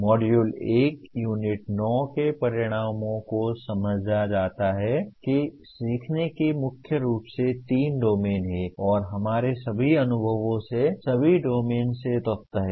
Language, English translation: Hindi, The Module 1 Unit 9 the outcomes are understand that there are mainly three domains of learning and all our experiences have elements from all domains